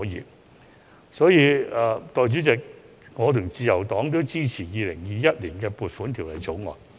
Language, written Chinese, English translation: Cantonese, 代理主席，基於上述原因，我及自由黨也會支持《2021年撥款條例草案》。, Deputy President for the above reasons LP and I will also support the Appropriation Bill 2021